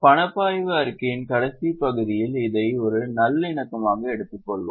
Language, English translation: Tamil, We will take it in the last part of cash flow statement as a reconciliation